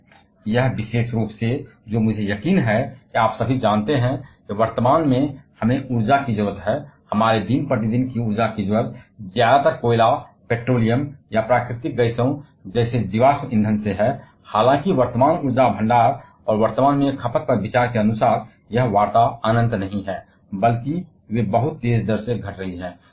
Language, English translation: Hindi, This particular one, which I am sure all of you are aware that, presently we get the energy needs, our day to day energy needs mostly from the fossil fuels like coal petroleum or natural gases; however, as per the considering the present energy reserves available and also the present day consumption, this talks are not infinite rather they are depleting at a very, very fast rate